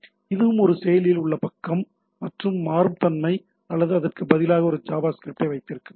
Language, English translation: Tamil, So, this is also, it is also a active page or dynamicity here or I can have a instead a JavaScript which will be executed here right